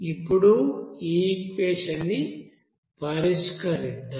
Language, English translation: Telugu, Let us solve this equation